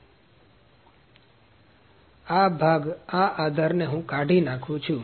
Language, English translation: Gujarati, So, this part this support I am removing